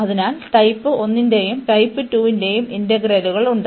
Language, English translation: Malayalam, So, we have the integral of type 1 as well as type 2